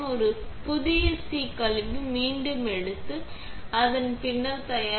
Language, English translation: Tamil, Grab a new c waste back and prepare the bin for the next user